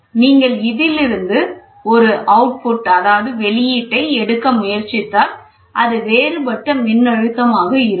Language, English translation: Tamil, So, if you try to take an output from this you get the differential voltage